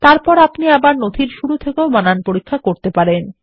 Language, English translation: Bengali, You can then choose to continue the spellcheck from the beginning of the document